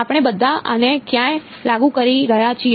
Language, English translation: Gujarati, Where all are we enforcing this